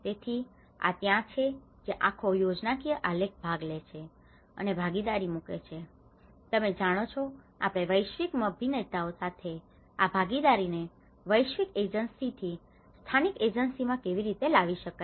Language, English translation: Gujarati, So, that is where this whole schematic diagram puts participation and partnerships, you know how we can bring these partnerships with the global actors, global agencies to the local agencies